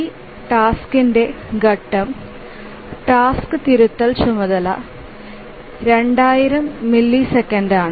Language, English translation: Malayalam, So, the phase of this task, the task correction task is 2,000 milliseconds